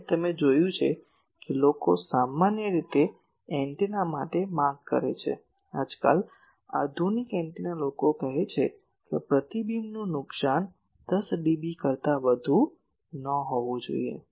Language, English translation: Gujarati, And you have seen that people generally demand that the for antennas, nowadays modern antennas people say that, the reflection loss should not be more than 10 dB